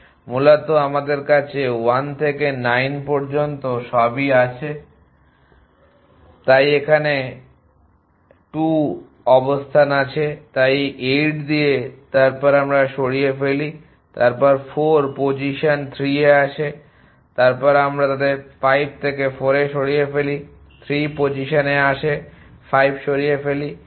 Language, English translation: Bengali, Essentially we have all 1 to 9 so 2 is in position to here so with 8 then we remove to then 4 comes to position 3 then we remove 4 from their 5 comes in position 3 remove 5 and so on 1 we get this 2